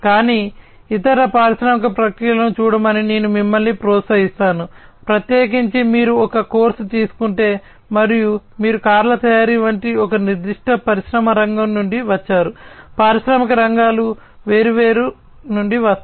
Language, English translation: Telugu, But, I would also encourage you to look at other industrial processes, particularly if you are, you know, if you are taking a course, and you come from a particular industry sector like car manufacturing could be coming from different are the industrial sectors